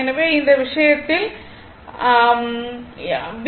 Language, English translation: Tamil, So, in this case, if you draw V